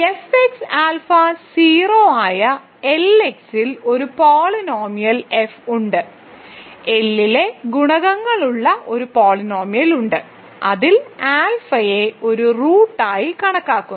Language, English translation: Malayalam, So, there exists a polynomial f in L X such that f alpha is 0, so there is a polynomial with coefficients in L which has alpha as a root